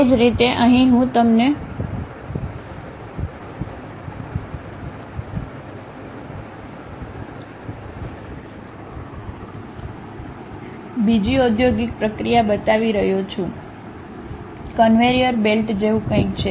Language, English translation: Gujarati, Similarly, here I am showing you another industrial process, something like conveyor belts